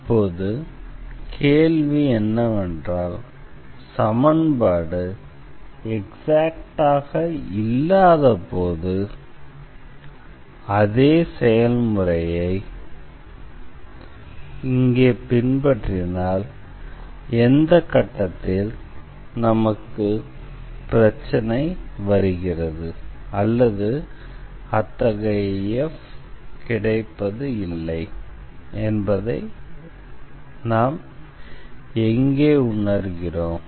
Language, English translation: Tamil, Now, the question is if we follow the same process here when the equation is not exact then at what point we will get the problem or where we will stuck, and where we will realize that such f does not exists